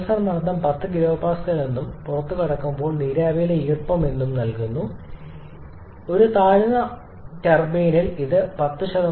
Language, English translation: Malayalam, And the condenser pressure is given as 10 kilo Pascal and the moisture content of steam at the exit of the low pressure turbine should not a see 10